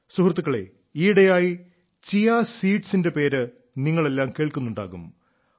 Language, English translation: Malayalam, nowadays you must be hearing a lot, the name of Chia seeds